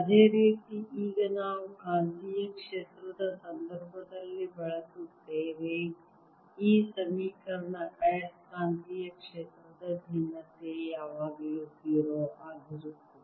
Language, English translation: Kannada, similarly now we use in the context of magnetic field this equation that the divergence of magnetic field is always zero